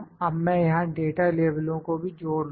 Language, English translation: Hindi, Now, I will add the data labels as well here